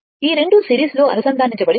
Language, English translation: Telugu, These 2 are connected in series